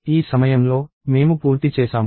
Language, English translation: Telugu, So, at this point, we are done